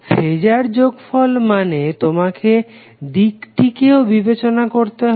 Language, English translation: Bengali, Phasor sum means you have to consider the direction